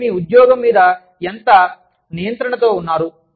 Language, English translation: Telugu, The amount of control, you have over your job